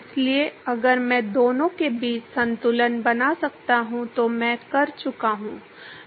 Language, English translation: Hindi, So, if I can make a balance between the two, I am done